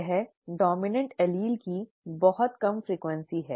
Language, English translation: Hindi, This is the very low frequency of the dominant allele